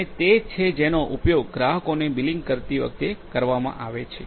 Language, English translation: Gujarati, And that is what actually is used while billing the consumers